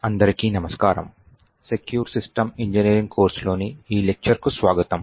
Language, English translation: Telugu, Hello and welcome to this demonstration in the course for Secure System Engineering